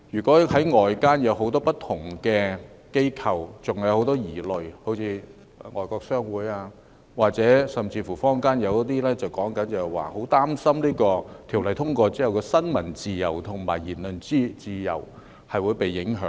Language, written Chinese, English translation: Cantonese, 然而，外間有很多不同的機構可能還有很多疑慮，好像外國商會，甚至坊間亦表示很擔心《條例草案》通過後，新聞自由及言論自由會被影響。, However many different organizations outside may still have a lot of queries . For example foreign chambers of commerce and people in the community are worried that freedom of the press and freedom of speech will be affected after the passage of the Bill